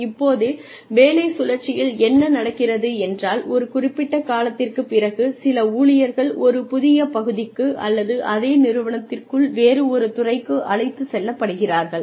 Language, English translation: Tamil, Now, what happens in job rotation is that, after a certain period of time, some employees are taken to a new part, or a different department, within the same organization